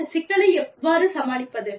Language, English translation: Tamil, How do you manage, this problem